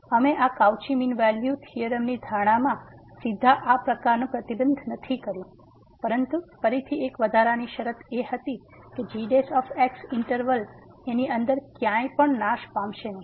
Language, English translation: Gujarati, We have not made such a restriction directly in the assumptions of this Cauchy mean value theorem , but again there was an additional condition that does not vanish anywhere inside the interval